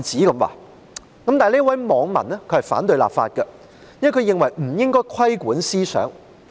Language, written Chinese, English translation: Cantonese, 然而，這位網民反對立法，因為他認為不應該規管思想。, However this netizen opposed legislating for this purpose because he considered that thinking should not be subject to regulation